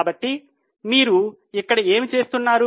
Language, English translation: Telugu, So, what do you see here